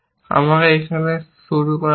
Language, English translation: Bengali, Let me start here